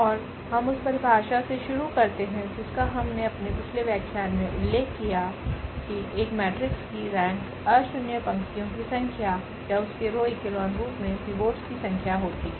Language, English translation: Hindi, And the definition we start with which we have mentioned in one of our previous lecture that is the rank of a matrix is the number of nonzero rows or the number of pivots in its reduced row echelon forms